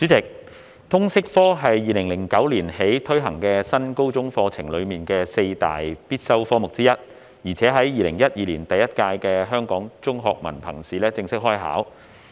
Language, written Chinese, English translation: Cantonese, 主席，通識教育科是自2009年起推行的新高中課程的四大必修科目之一，在2012年第一屆香港中學文憑考試正式開考。, President the subject of Liberal Studies LS is one of the four compulsory core subjects under the New Senior Secondary curriculum implemented since 2009 and was formally included as an examination subject in the first Hong Kong Diploma of Secondary Education Examination in 2012